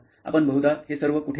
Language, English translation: Marathi, Where all do you write those mostly